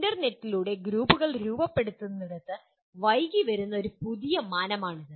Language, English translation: Malayalam, This is a new dimension that has been coming of late where groups are formed over the internet